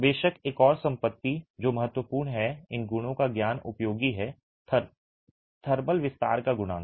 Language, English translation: Hindi, Of course, another property that is of importance and knowledge of this property is useful is a coefficient of thermal expansion